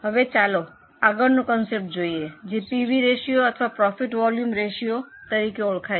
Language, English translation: Gujarati, Now let us go to the next concept that is known as p fee ratio or profit volume ratio